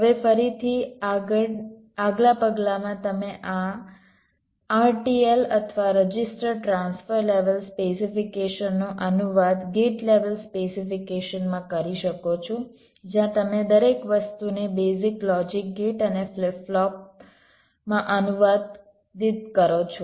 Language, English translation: Gujarati, now again, in the next step you can translate this r t l or register transfer levels specification to gate level specification, where you translate everything into basic logic gates and flip flops